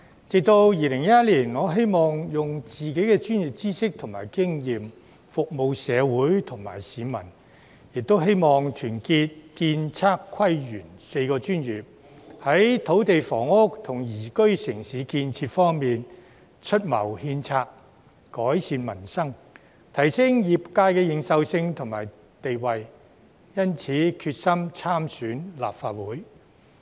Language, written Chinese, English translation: Cantonese, 直至2011年，我希望用自己的專業知識及經驗服務社會和市民，亦希望團結建、測、規、園4個專業，在土地房屋及宜居城市建設方面，出謀獻策，改善民生，提升業界的認受性及地位，因此決心參選立法會。, It was not until 2011 that I decided to run in the Legislative Council Election in the hope of using my professional expertise and experience to serve society and the public and uniting the four professional sectors namely the architectural surveying town planning and landscape sectors to improve peoples livelihood and enhance the recognition and status of these sectors by proffering advice and suggestions on land and housing and development of a livable city